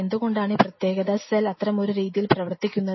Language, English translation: Malayalam, Why these particular cell types behave since such a way